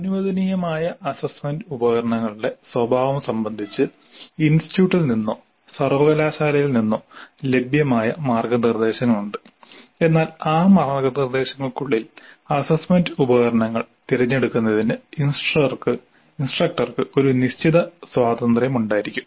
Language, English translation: Malayalam, There are guidelines possibly available either from the institute or from the university as to the nature of assessments, assessment instruments allowed, but within those guidelines instructor would be having certain amount of freedom in choosing the assessment instruments